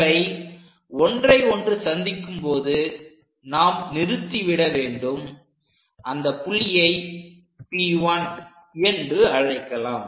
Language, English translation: Tamil, So, wherever it is intersecting, let us stop it; let us call that point P 1